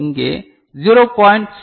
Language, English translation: Tamil, So, this is 0